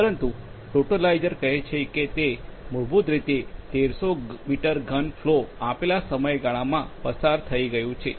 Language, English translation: Gujarati, But the totalizer is saying that it is, it has been basically over 1300 meter cube flow has been passed through in a given span of time